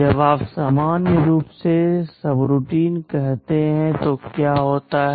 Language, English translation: Hindi, When you call a subroutine normally what happens